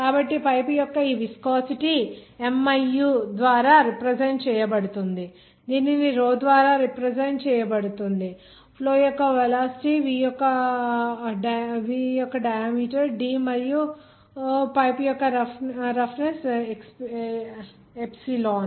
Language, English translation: Telugu, So this viscosity of the pipe is denoted by miu, density is denoted by row, the velocity of the flow is v, the pipe diameter is d, and pipe roughness is epsilon